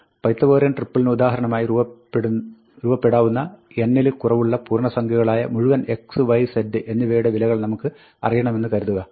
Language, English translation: Malayalam, Let us say, we want to know all the integer values of x, y and z, whose values are below n, such that, x, y and z form a Pythagorean triple instance